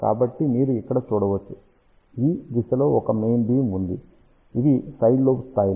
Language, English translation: Telugu, So, this is you can see here there is a main beam is in this direction, these are the side lobe levels